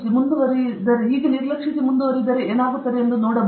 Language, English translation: Kannada, Can you ignore g and proceed and see what happens